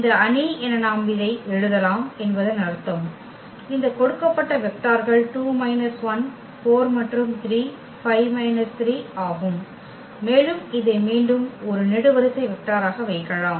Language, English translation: Tamil, Meaning that we can write down this as this matrix whose columns are these given vectors are 2 minus 1 4 and 3 5 minus 3 and this s t we can put again as a column vector there